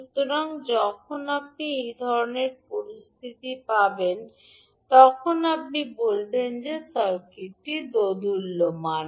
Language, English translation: Bengali, So when you have this kind of situation then you will say that the circuit is oscillatory